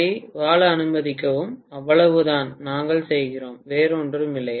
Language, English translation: Tamil, Allow it to survive, that is all we are doing, nothing else